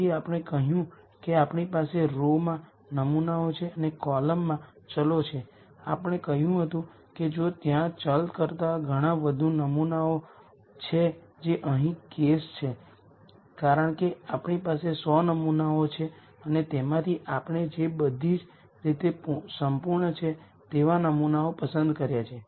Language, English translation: Gujarati, So, we said we have samples in rows and variables in columns, we said if there are a lot more samples than variables which is the case here because we have 100 samples and out of those we have picked out samples that are complete in all respect